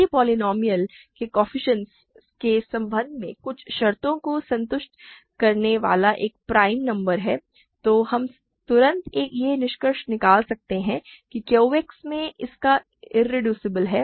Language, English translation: Hindi, If there is a prime number satisfying some conditions with respect to the coefficients of the polynomial, we can right away conclude that its irreducible in Q X